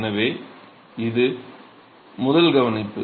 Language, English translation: Tamil, So, that is the first observation